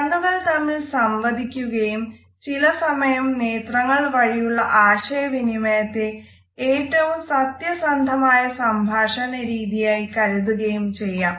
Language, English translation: Malayalam, Eyes communicate and sometimes you would find that the communication which is done through eyes is the most authentic one